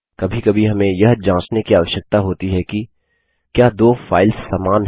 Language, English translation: Hindi, Sometimes we need to check whether two files are same